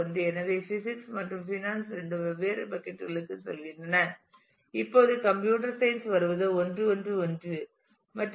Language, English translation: Tamil, So, both physics and finance go to different buckets; now coming to computer science it is 1 1 1 and there is no